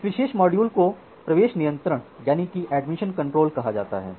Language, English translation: Hindi, So, that particular module is termed as admission of control